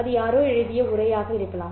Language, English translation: Tamil, It could be the text that someone has written